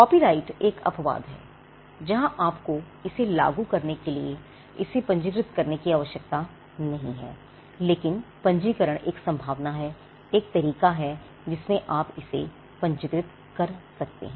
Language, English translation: Hindi, So, copyright is an exception where you need not need to register it for enforcing it, but registration this there is a possibility there is a way in which you can register it